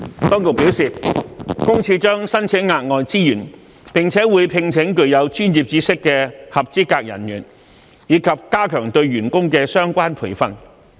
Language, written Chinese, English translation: Cantonese, 當局表示，私隱公署將申請額外資源，並會聘請具有專業知識的合資格人員，以及加強對員工的相關培訓。, The authorities have advised that PCPD will request additional resources employ qualified staff with expertise and step up the relevant training for its staff